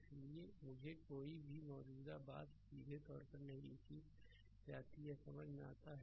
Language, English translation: Hindi, So, that is why I am not written any current thing directly it is understandable